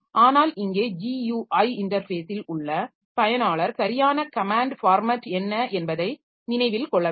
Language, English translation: Tamil, CLI also keyboard interface was there but here the user in GUI interface user need not remember what is the exact command format